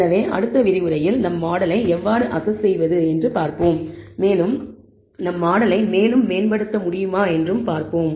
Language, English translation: Tamil, So, in the next lecture we will see how to assess our model and we will see if we can improvise our model